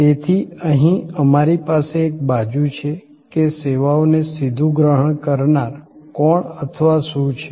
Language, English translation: Gujarati, So, we have here on one side, that who or what is the direct recipient of the service